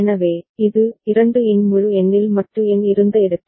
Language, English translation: Tamil, So, this is where the modulo number was on in the integer power of 2